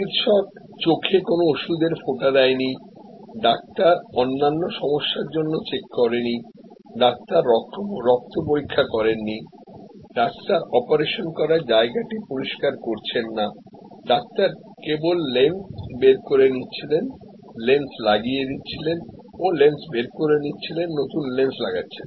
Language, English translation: Bengali, The doctor did not give eye drops, the doctor did not check for other problems, the doctor did not do the blood test, the doctor was not cleaning the operation area, the doctor was only doing take lens out, put lens in, take lens out, put lens in